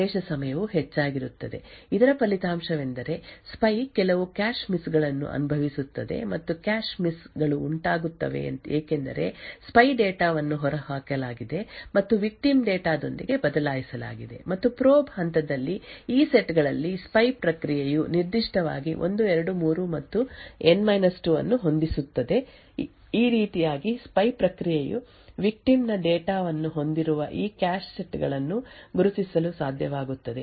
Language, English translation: Kannada, Now the access time for set 1, 2, 3 and N 2 would be high, the result is that the spy would incur certain cache misses and the cache misses are incurred because the spy data has been evicted and replaced with the victim data and during the probe phase there would be further cache misses incurred by the spy process in these sets specifically sets 1, 2, 3 and N 2 in this way the spy process would be able to identify this cache sets which have victim data or in other words the spy process would be able to identify the cache sets which the victim has accessed